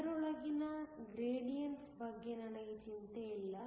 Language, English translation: Kannada, I am not worried about gradiance within it